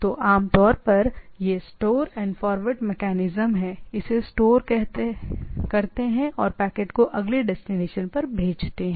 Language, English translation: Hindi, So, typically it is that store and forward mechanism receive it, store it and forward the packet to the next destination